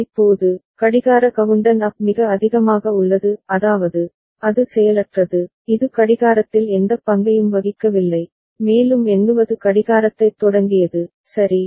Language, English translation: Tamil, Now, the clock countdown up that is remaining at high so; that means, it is inactive, it is not playing any role in the clocking and count up has started clocking, ok